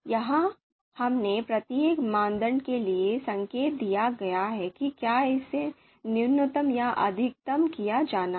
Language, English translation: Hindi, So here we have indicated you know for each criteria whether it is it is to be minimized or maximized